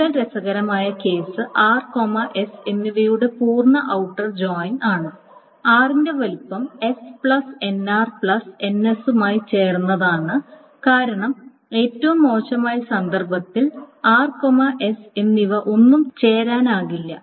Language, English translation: Malayalam, The more interesting case is the full outer join of R and S is the size of R joined with S plus in R plus N S because the worst case is that R and S none of them can be joined